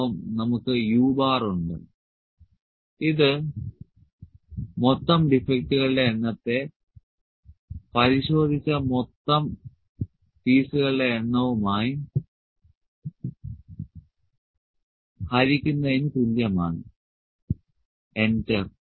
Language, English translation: Malayalam, And we have u bar this is equal to total number of defects divided by total number of pieces which are inspected, enter, this is 0